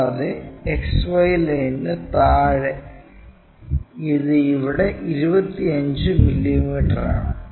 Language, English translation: Malayalam, And, in below XY line it is 25 mm here